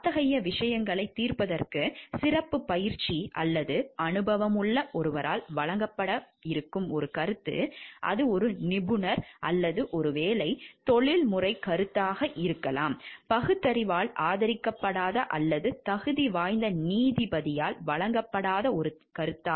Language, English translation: Tamil, An opinion that is given by someone with special training or experience to judge such matters, it is an expert or perhaps professional opinion; which is neither supported by reason nor offered by a qualified judge is a mere opinion